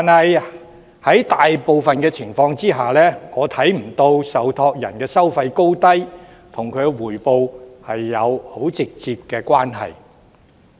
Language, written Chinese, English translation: Cantonese, 然而，在大部分情況下，我看不到受託人收費的高低，與強積金回報有很直接的關係。, However under the majority of circumstances I do not see a direct relationship between the level of fees charged by trustees and the MPF returns